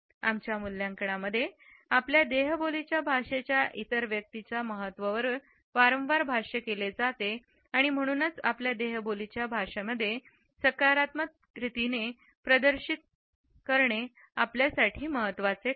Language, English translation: Marathi, The significance of body language has often been commented on in our appraisal of the other person and therefore, it is important for us to exhibit our body language in a positive manner